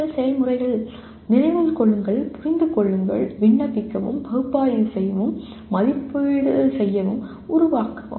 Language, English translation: Tamil, And cognitive processes are Remember, Understand, Apply, Analyze, Evaluate, and Create